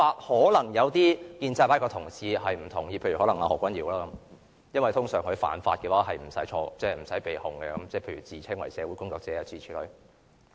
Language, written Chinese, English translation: Cantonese, 可能一些建制派的同事不同意這說法，譬如何君堯議員，因為通常他犯法是不會被控的，譬如自稱是社會工作者等諸如此類。, Some pro - establishment camp Members like Dr Junius HO may not agree with me on this because he usually does not need to face any charges after breaking the law after calling himself a social worker for example